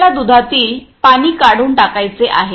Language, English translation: Marathi, We have to do eliminate the water from the milk